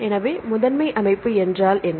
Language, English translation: Tamil, So, what is the primary structure